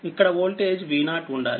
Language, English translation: Telugu, So, this voltage is V a